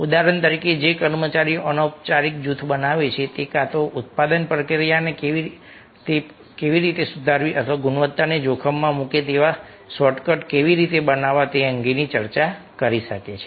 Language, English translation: Gujarati, for example, employees who form an informal group can either discuss how to improve a production process or create shortcuts that jeopardize quality